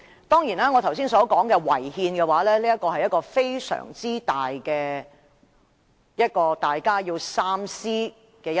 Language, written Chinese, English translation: Cantonese, 當然，我剛才所說的"違憲"，是非常重要及大家要三思的一點。, Certainly as I said earlier the Bill is unconstitutional this is a very important point which Members have to consider carefully